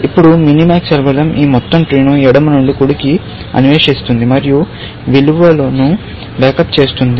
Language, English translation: Telugu, Now, observe that the minimax algorithm will explore this entire tree from left to right, and back up the value